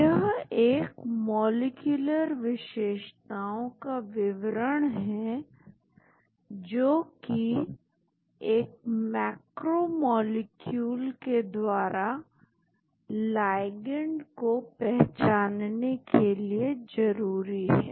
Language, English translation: Hindi, It is a description of molecular features, which are necessary for recognition of ligand by a macromolecule